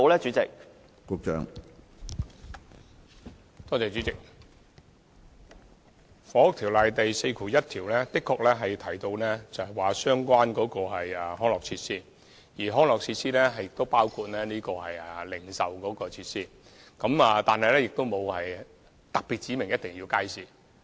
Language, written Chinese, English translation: Cantonese, 主席，《房屋條例》第41條的確提到相關的康樂設施，而康樂設施亦包括零售設施，但並無特別指明必定要有街市。, President it is true that section 41 of the Housing Ordinance refers to the amenities and that these amenities include retail facilities . That said the section does not specifically stipulate that markets must be provided